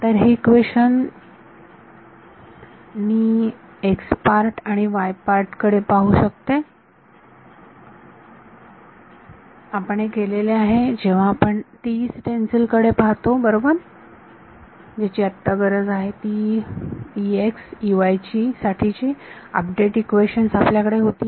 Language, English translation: Marathi, So, this equation I can look at the x part and the y part, we have done this when we look at the TE stencil right, we had those update equations for E x E y basically that is what is needed